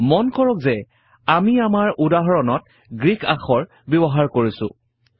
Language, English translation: Assamese, Notice that we have used Greek characters in our example